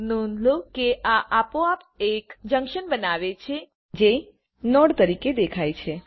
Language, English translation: Gujarati, Notice that this will automatically form a junction which appears as a node